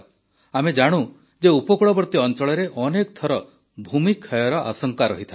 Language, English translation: Odia, We know that coastal areas are many a time prone to land submersion